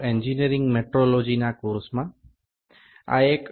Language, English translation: Bengali, Welcome back to the course on Engineering Metrology